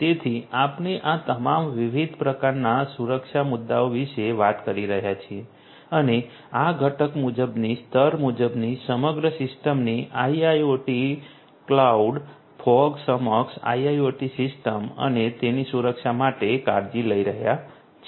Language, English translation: Gujarati, So, we are talking about all these different different types of security issues and taking care of these component wise layer wise and so on for the system as a whole IIoT clouds, fog enabled IIoT system and it’s security